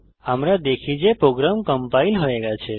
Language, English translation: Bengali, Let us now compile the program